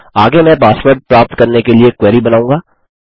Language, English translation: Hindi, Next we will create a query to get the passwords